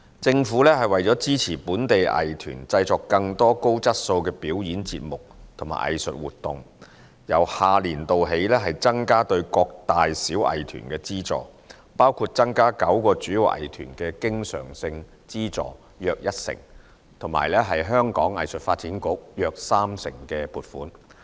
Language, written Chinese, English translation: Cantonese, 政府為支持本地藝團製作更多高質素的表演節目和藝術活動，由下年度起增加對各大小藝團的資助，包括增加9個主要藝團的經常性資助約一成及香港藝術發展局約三成撥款。, To support local arts groups in producing more high - quality performing arts programmes and cultural activities the Government will increase the funding to arts groups of different sizes in the next financial year including increasing the recurrent subvention of the nine major performing arts groups by 10 % and increasing the funding for the Hong Kong Arts Development Council HKADC by 30 %